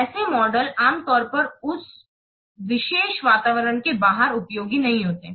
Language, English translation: Hindi, Such models usually are not useful outside of their particular environment